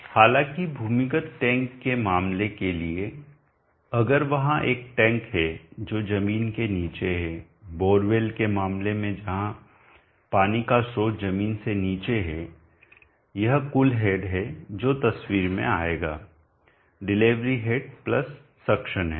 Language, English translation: Hindi, However for the case of pump if there is a sum which is down below the ground for the case of bore well where the water source is below the ground this is the total head that will come into picture the delivery head + the suction head and the delivery head will always add up